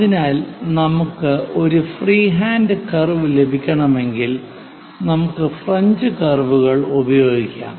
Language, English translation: Malayalam, So, if we are going to have a free hand curve for this purpose, one can use French curves also